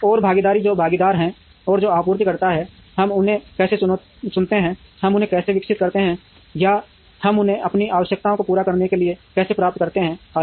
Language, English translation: Hindi, And partnering, who are the partners, who are the suppliers, how do we select them, how do we develop them or how do we get them to meet our requirements and so on